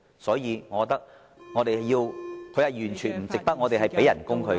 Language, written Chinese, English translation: Cantonese, 所以，我認為......他完全不值我們向他支薪。, For that reason I consider it totally not worthwhile to pay him all the salaries